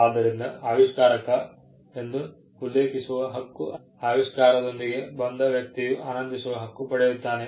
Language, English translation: Kannada, So, the right to be mentioned as an inventor is a right that the person who came up with the invention enjoys